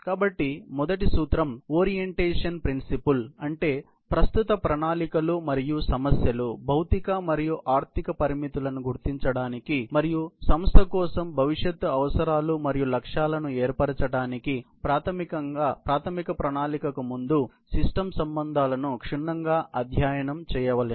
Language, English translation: Telugu, So, the first principle is orientation principle; that means, study the system relationships thoroughly, prior to preliminary planning, in order to identify existing methods and problems, physical and economic constraints and to establish future requirements and goals for an organization